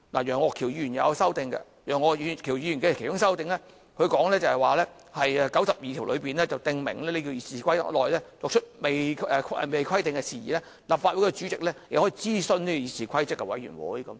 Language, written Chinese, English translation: Cantonese, 楊岳橋議員也提出修訂建議，其中一項修訂第92條，訂明就《議事規則》未有規定的程序，立法會主席可諮詢議事規則委員會。, Mr Alvin YEUNG has also proposed several amendments one of which amends RoP 92 to stipulate that the President of the Legislative Council may consult the Committee on Rules of Procedure on procedures not provided for in RoP